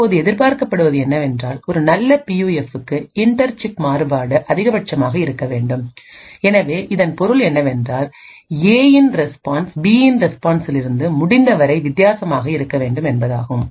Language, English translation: Tamil, Now what is expected is that for a good PUF the inter chip variation should be maximum, so this means that the response of A should be as different as possible from the response of B